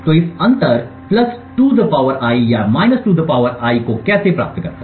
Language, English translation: Hindi, So how does hew obtain this difference (+2 ^ I) or ( 2 ^ I)